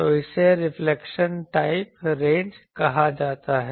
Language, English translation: Hindi, So this is called reflection type ranges